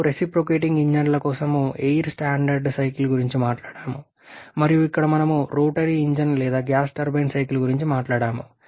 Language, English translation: Telugu, You talked about the gas standard cycle for reciprocating engines and here we have talked about the cycle for rotary engine or Gas turbine